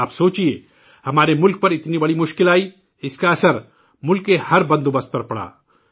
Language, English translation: Urdu, Think for yourself, our country faced such a big crisis that it affected every system of the country